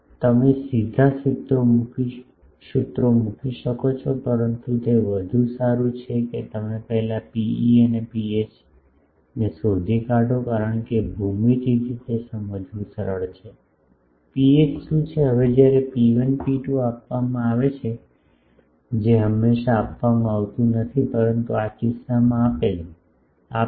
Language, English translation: Gujarati, You can directly put the formulas, but it is better that you find out rho e and rho h first because from the geometry it is easy to understand, what is rho h, rho h is since rho 1 rho 2 is given, which is always it would not be given, but in this case given means